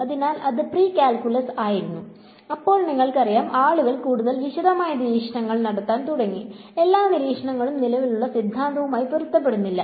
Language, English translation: Malayalam, So, that was pre calculus, then you know people began to make more detailed observations and not every observation match the existing theory